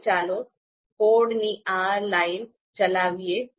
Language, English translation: Gujarati, So let’s run this code